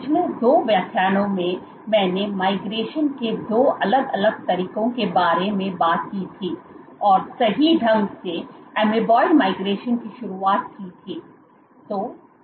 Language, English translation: Hindi, So, in the last two lectures I had spoken about two different modes of migration and introduced amoeboid migration right